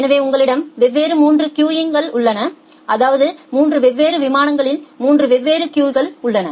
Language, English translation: Tamil, So, you have 3 different queues and in that 3 different queues of 3 different plane